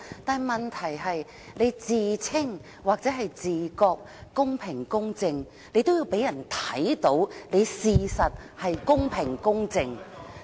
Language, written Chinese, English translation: Cantonese, 但問題是，你自稱或者自覺得公平公正，也都要讓人看到你的確是公平公正的。, But the problem is while you claim or believe yourself that you are fair and just you have to show us that this is truly the case